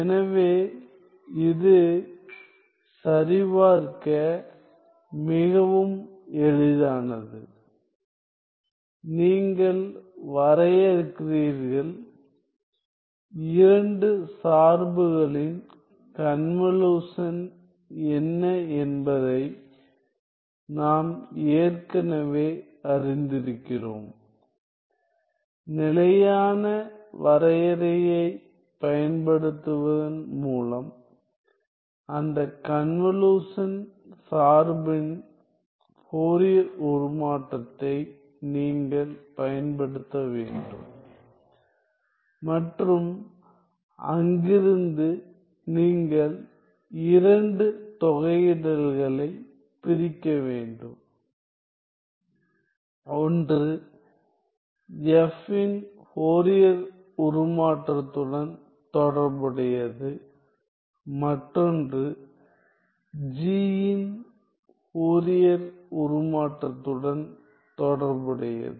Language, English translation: Tamil, So, this is quite easy to check; you define, you we already know what is for the convolution of 2 function then, you have to figure out, you have to apply the Fourier transform of that convolution function by use the standard definition and from there you have to separate out the 2 integrals, one corresponding to the Fourier transform of F, the other corresponding to the Fourier transform of G to arrive at this result ok